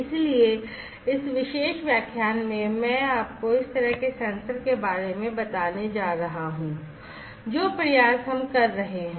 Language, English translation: Hindi, So, in this particular lecture I am going to run you through this kind of sensor, the efforts that we are taking